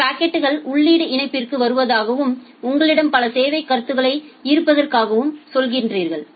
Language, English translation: Tamil, Say your packets are coming to an input link and you have multiple service queues